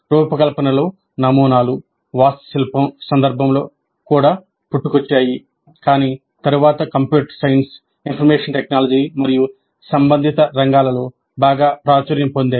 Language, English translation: Telugu, The patterns in design also arose in the context of architecture, but subsequently has become very popular in computer science, information technology and related areas